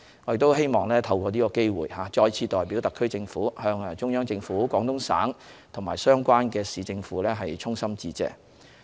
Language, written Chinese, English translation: Cantonese, 我希望透過是次機會再次代表香港特區政府向中央政府、廣東省及相關市政府衷心致謝。, I wish to take this opportunity to express heartfelt thanks to the Central Government the Guangdong Province and also the relevant Municipal Government on behalf of the HKSAR Government once again